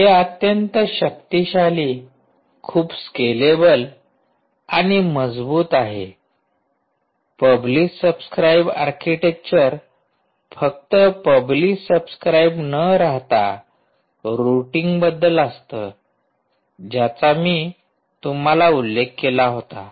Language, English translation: Marathi, so its a much more powerful, much more scalable and robust publish subscribe architecture, not just limited to publish subscribe, but also about routing, which i mentioned to you, right